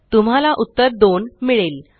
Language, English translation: Marathi, You will get the result as 2